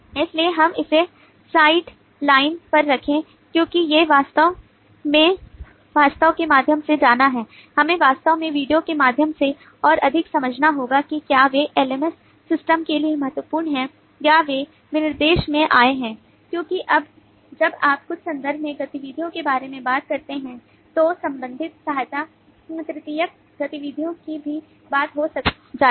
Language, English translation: Hindi, so we are kind of putting them on the side line, because we really have to go through the document more, we really have to go through the video more to understand that if they are critical for the lms system or they have just occurred in the specification, because when you talk about the activities in certain context, the related subsidiary (()) (22:49) activities also get talked of